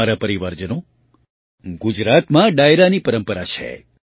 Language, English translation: Gujarati, My family members, there is a tradition of Dairo in Gujarat